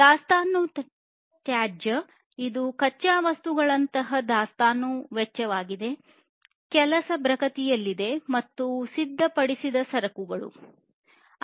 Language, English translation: Kannada, And inventory waste, which is basically the cost of inventory such as raw materials, work in progress, and finished goods